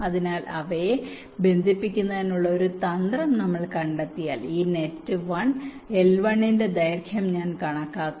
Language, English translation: Malayalam, so once we find out a strategy of connecting them, i have to estimate the length of this net, one l one